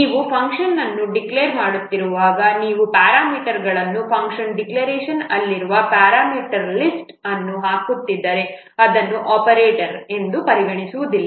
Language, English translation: Kannada, While you are declaring a function, if you are putting the parameters or the parameter list that are present in the function declaration, that is not considered as an operant